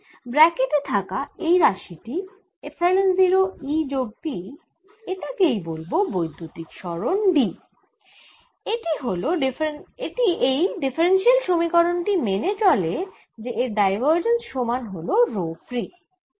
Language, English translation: Bengali, and this quantity, in brackets, epsilon zero, e plus p, i am going to call d or displacement, and this satisfies the differential equation that divergence of displacement is equal to rho free, if you like